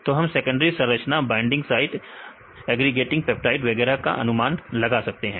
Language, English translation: Hindi, So, we can predict the secondary structures binding sides right agregating peptides and so on right